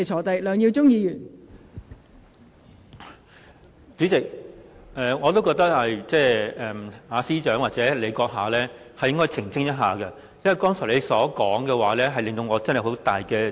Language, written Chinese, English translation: Cantonese, 代理主席，我認為司長或代理主席閣下應該澄清一下，因為你剛才的說話，令我有很大疑惑。, Deputy Chairman I am extremely confused by what you have said and would like to seek clarification from the Secretary for Justice or you as Deputy Chairman